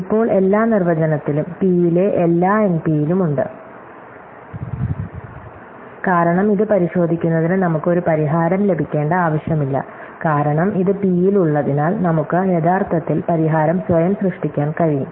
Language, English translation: Malayalam, Now, by all definition, everything in P is also in NP, because we do not need to get a solution to check it, because it is in P, we can actually generate the solution ourselves